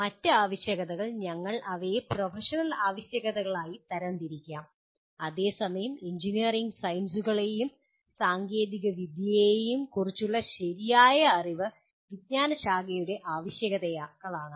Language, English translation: Malayalam, The other requirements we may broadly classify them as professional requirements and whereas the sound knowledge of engineering sciences and technology is the disciplinary requirements